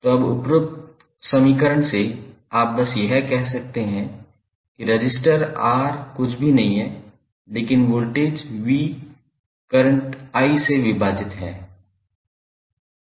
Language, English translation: Hindi, So, now from the above equation you can simply say that resistance R is nothing but, voltage V divided by current